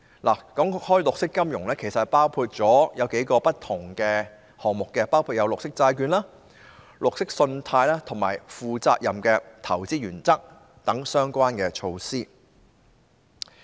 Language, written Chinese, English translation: Cantonese, 談到綠色金融，其實包括數個不同項目，包括綠色債券、綠色信貸和負責任的投資原則等相關措施。, When it comes to green finance it actually involves several different items including such relevant initiatives as green bonds green credit and Principles for Responsible Investment